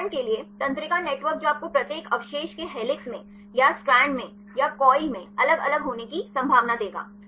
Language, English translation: Hindi, For example, neural networks which will give you the probability of each residue to be in helix or in strand or in coil so different, different